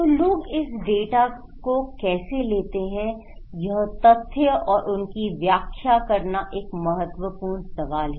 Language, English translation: Hindi, So, how people take this data, this fact and interpret them is a critical question